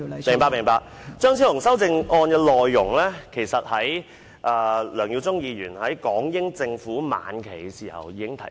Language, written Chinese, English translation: Cantonese, 張超雄議員修正案的內容，其實梁耀忠議員早在港英政府晚期已經提出。, Regarding the contents of Dr Fernando CHEUNGs amendments Mr LEUNG Yiu - chung had in fact raised such points in the later days of the British Administration in Hong Kong